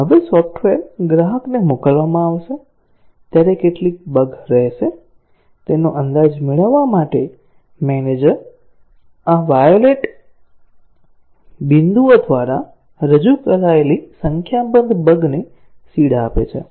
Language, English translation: Gujarati, Now, the manager to get an estimate of how many bugs will remain when the software is shipped to the customer, seeds a number of bugs, represented by these violet dots